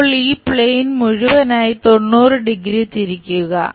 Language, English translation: Malayalam, Now, rotate this entire plane by 90 degrees